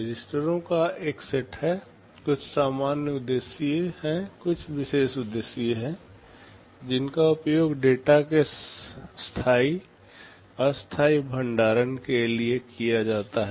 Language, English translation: Hindi, There are a set of registers, some are general purpose some are special purpose, which are used for temporary storage of data